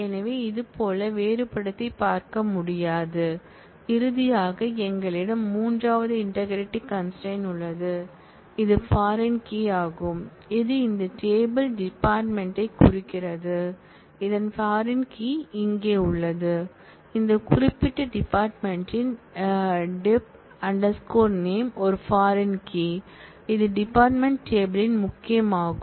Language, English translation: Tamil, So, it will not be able to distinguish similarly, we have finally we have the third integrity constant which is foreign key which says that, it is referencing this table department and the foreign key of this is here, the dep name this particular field is a foreign key, which is a key of the department table